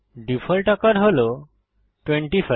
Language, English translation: Bengali, The default size is 25